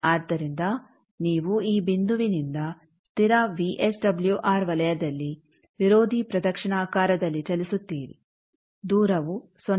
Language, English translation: Kannada, So, you move from this point on this constant VSWR circle anti clockwise if distance 0